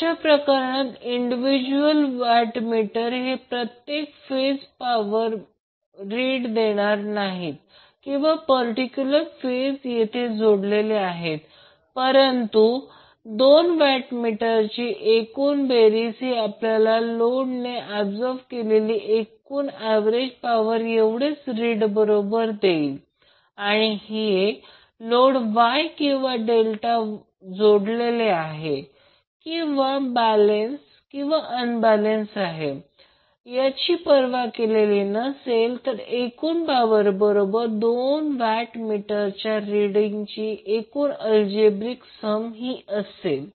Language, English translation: Marathi, So in that case the individual watt meters will not give you the reading of power consumed per phase or in a particular phase where it is connected, but the algebraic sum of two watt meters will give us the reading which will be equal to total average power absorbed by the load and this is regardless of whether the load is wye or Delta connected or whether it is balanced or unbalanced